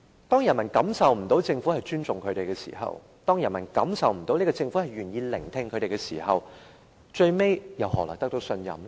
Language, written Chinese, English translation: Cantonese, 當人民感覺不到政府尊重他們，感覺不到政府願意聆聽民意的時候，最終政府怎會獲得信任呢？, When the people do not feel any respect from the Government and they do not feel its willingness to listen to public views either how will the Government gain their trust in the end?